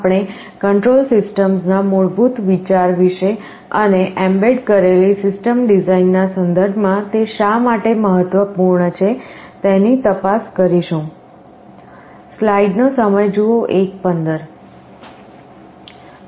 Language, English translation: Gujarati, We shall look into the basic idea about control systems and why it is important in the context of embedded system design